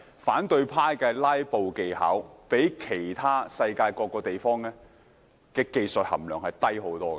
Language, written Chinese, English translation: Cantonese, 反對派的"拉布"技巧相較世界其他地方的技術含量低得多。, Opposition Members technique in filibustering is much lower than their counterparts in other parts of the world